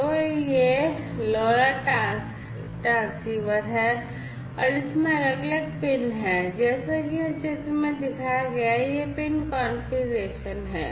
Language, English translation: Hindi, So, this is this LoRa transceiver and it has different pins like shown over here in this figure, this is the pin configuration